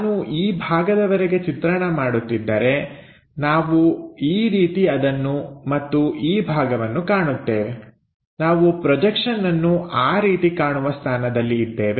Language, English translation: Kannada, So, if I am drawing it up to this portion, we will see something like that and this portion, we will be in a position to see like a projection like that